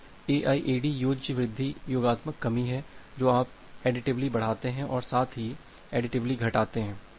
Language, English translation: Hindi, So, AIAD is the additive increase additive decrease you increase additively as well as decrease additively